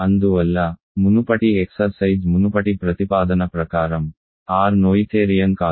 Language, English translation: Telugu, Hence, by the previous exercise previous proposition, R is not noetherian